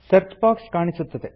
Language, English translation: Kannada, The Search box appears